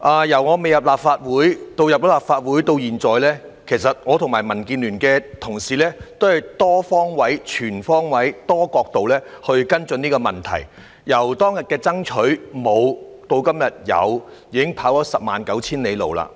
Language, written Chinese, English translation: Cantonese, 由我未進入立法會，以至進入立法會至今，其實我和民建聯的同事均從多方位、全方位及多角度跟進這問題，由當日的爭取，由"沒有"至今天"有"，已跑了十萬九千里路。, Ever since I was yet to join the Legislative Council and after joining the Legislative Council till now colleagues from the Democratic Alliance for the Betterment and Progress of Hong Kong DAB and I have actually followed up on this issue with an all - round all - directional and multifaceted approach . Since our fighting for the matter back then we have taken a very long course to strive from naught till we have it today